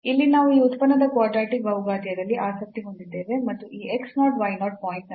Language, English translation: Kannada, So, here we are interested in a quadratic polynomial of this function and about this point x 0 y 0